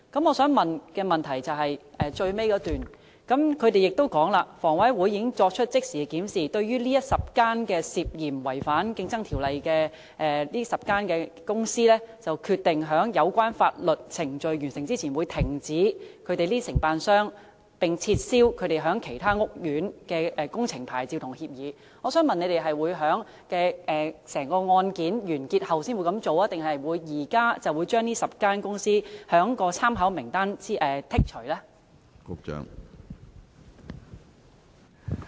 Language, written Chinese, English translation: Cantonese, 我想提出的補充質詢是，當局在主體答覆的最後一段指出："以10間建築工程公司涉嫌違反《競爭條例》的案件為例，房委會已即時作出檢視，並決定在有關法律程序完成前，停止安排這些承辦商駐邨/苑，並撤銷他們在其他屋邨/苑承辦裝修工程的牌照/協議。"我想問當局會在整宗案件完結後才這樣做，還是現時就會把這10間公司從參考名單中剔除呢？, My supplementary question is as the authorities pointed out in the last paragraph of the main reply [t]aking the case of 10 building works companies being suspected of contravening CO as an example HA has conducted a review immediately and decided to prior to the completion of the legal proceedings stop arranging these contractors to be stationed in estatescourts and revoked their licencesagreements for undertaking decoration works in other estatescourts so may I ask the authorities whether such actions will be carried out after the conclusion of the case or these 10 companies will be removed from the Reference List now?